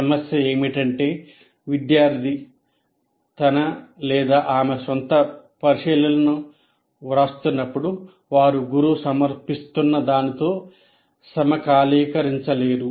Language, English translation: Telugu, And the problem is, while you are writing your own observations, you may go out of sync with what is being presented by the teacher